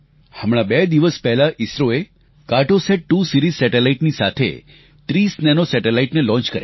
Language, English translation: Gujarati, Just two days ago, ISRO launched 30 Nano satellites with the 'Cartosat2 Series Satellite